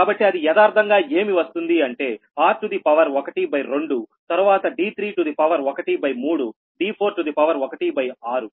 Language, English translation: Telugu, so it is coming actually r to the power half, then d to the power one third, d four to the power one by six